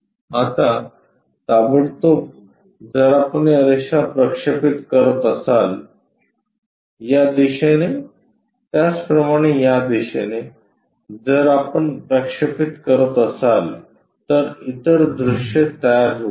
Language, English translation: Marathi, Now, immediately if we are projecting these lines, in this direction similarly in this direction if we are projecting the other views will can be constructed